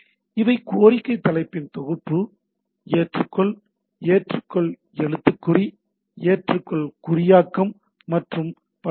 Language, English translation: Tamil, So, these are the set of the request header: Accept, Accept charset, Accept encoding and so and so forth